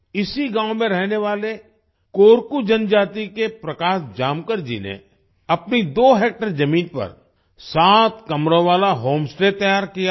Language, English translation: Hindi, Prakash Jamkar ji of Korku tribe living in the same village has built a sevenroom home stay on his two hectare land